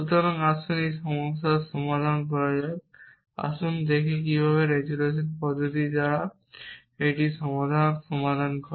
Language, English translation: Bengali, So, let us address this problem let us see an how the resolution method solve this problem